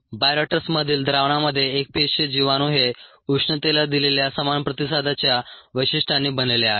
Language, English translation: Marathi, the solution in the bioreactor consists of single cells with similar thermal response characteristics